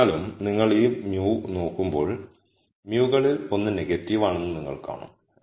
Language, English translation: Malayalam, However, when you look at this mu you will see that one of the mus is negative